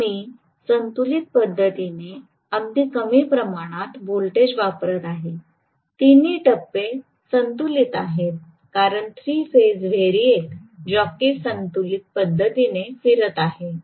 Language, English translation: Marathi, So, I am applying very very small amount of voltage in a balanced manner, all three phases are balanced, because the three phase variac jockey is moving, you know, in a balanced manner